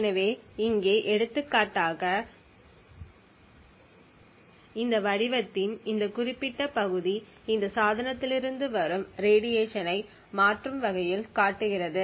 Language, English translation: Tamil, So for example over here this particular part of this figure shows dynamically the radiation from this device